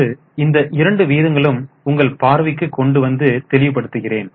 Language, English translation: Tamil, Now both these ratios, I will just show you the ratios for more clarity